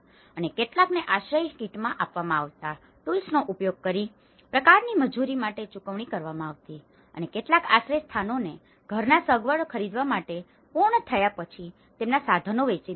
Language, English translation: Gujarati, And some paid for the labour in kind using the tools they were given in the shelter kit and some sold their tools once shelters were complete to buy household furnishings